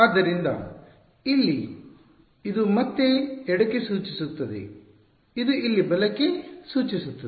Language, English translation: Kannada, So, here this again refers to left this here refers to right ok